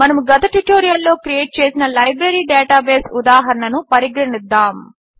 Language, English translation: Telugu, Let us consider the Library database example that we created in the previous tutorials